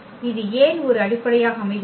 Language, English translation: Tamil, And why this form a basis